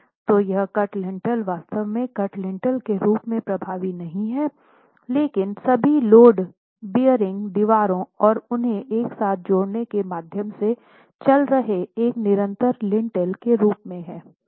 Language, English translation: Hindi, So, this cut lintel would actually be effective not as a cut lintel but as a continuous lintel running through all the load bearing walls and connecting them together